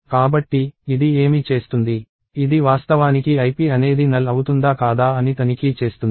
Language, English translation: Telugu, So, what this does is, it actually checks whether ip is null or not